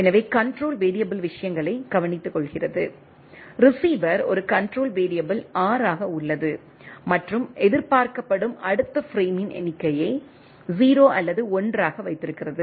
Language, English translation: Tamil, So, control variable takes care of the things, the receiver as a control variable R and holds the number of the next frame expected 0 or 1 right